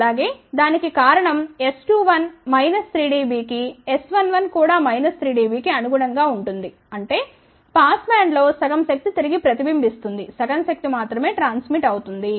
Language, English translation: Telugu, The reason for that is minus 3 dB for S 21 will also correspond to minus 3 dB for S 11 so; that means, in the pass band half the power will reflect back only half the power will transmit, ok